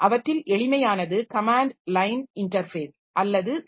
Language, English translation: Tamil, The simplest one of them is the command line interface or CLI interface